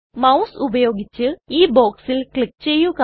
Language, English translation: Malayalam, Click on this box with the mouse